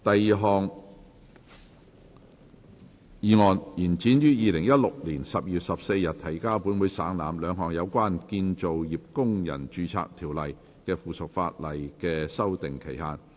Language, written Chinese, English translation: Cantonese, 第二項議案：延展於2016年12月14日提交本會省覽，兩項有關《建造業工人註冊條例》的附屬法例的修訂期限。, Second motion To extend the period for amending two items of subsidiary legislation in relation to the Construction Workers Registration Ordinance which were laid on the Table of this Council on 14 December 2016